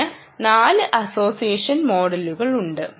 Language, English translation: Malayalam, so there are four association models